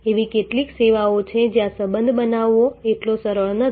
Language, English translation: Gujarati, There are certain services where creating relationship is not that easy